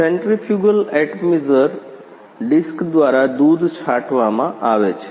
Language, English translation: Gujarati, Milk is spraying through the centrifugal atomizer disc